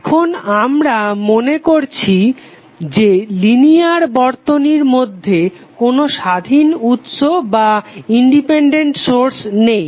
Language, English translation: Bengali, Now, the assumption is that there is no independent source inside the linear circuit